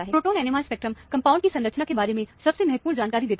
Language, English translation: Hindi, Proton NMR spectrum probably gives the most valuable information about the structure of the compound